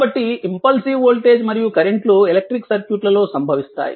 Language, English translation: Telugu, So, impulsive voltage and currents occur in electric circuit as a result